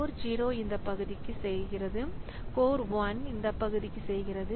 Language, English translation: Tamil, So code 0 is doing for this part, code 1 is doing for this part